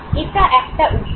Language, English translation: Bengali, This could be one